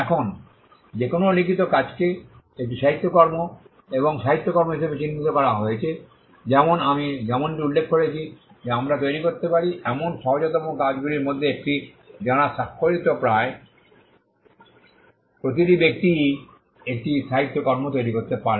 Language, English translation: Bengali, Now, any written work is construed as a literary work and literary work as I just mentioned is the one of the easiest things that we can create, almost every person who is literate can create a literary work